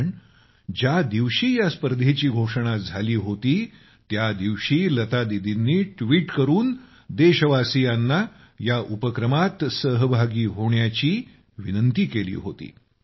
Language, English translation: Marathi, Because on the day that this competition had started, Lata Didi had urged the countrymen by tweeting that they must join this endeavour